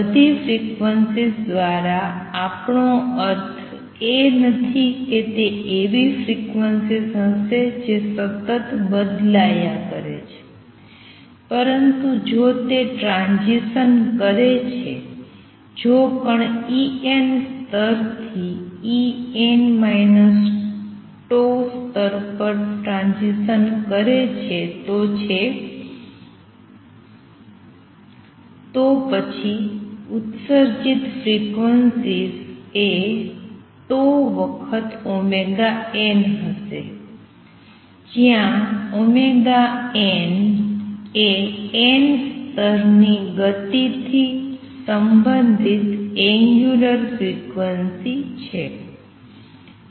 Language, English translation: Gujarati, By all frequency, we do not mean that it will give out frequencies which are continuously varying, but if it makes a transition; if the particle makes a transition from nth level to say E n minus tau level, then the frequencies emitted would be tau times omega n; right where omega n is the angular frequency related to motion in the nth level